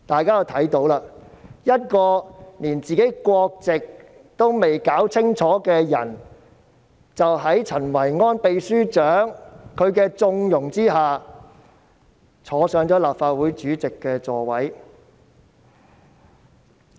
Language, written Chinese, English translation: Cantonese, 一位連自己國籍也未能搞清楚的人，在陳維安秘書長的縱容下坐上了立法會主席之位。, Under the connivance of Secretary General Kenneth CHEN a person who has failed to clarify his nationality has become the President of the Legislative Council